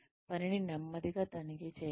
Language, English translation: Telugu, Check the work slowly